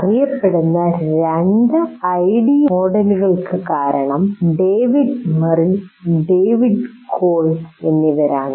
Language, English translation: Malayalam, Two well known ID models are due to David Merrill and David Colb